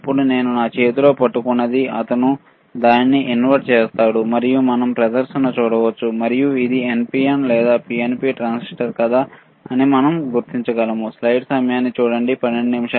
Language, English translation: Telugu, Now, the one that I am holding in my hand, he will insert it and he will and we can see the display, and we can we can identify whether this is NPN or PNP transistor